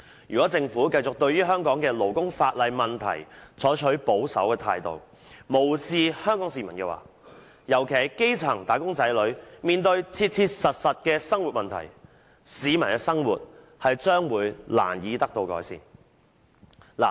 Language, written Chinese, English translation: Cantonese, 如果政府繼續對於香港勞工法例的問題採取保守態度，無視香港市民，尤其是基層"打工仔女"面對的切切實實的生活問題，市民的生活將會難以得到改善。, If the Government goes on taking a conservative attitude towards the problem concerning the labour legislation in Hong Kong and turning a blind eye to the realistic livelihood problems faced by the people of Hong Kong especially the grass - roots wage earners it would be difficult for improvement to be made to the peoples lot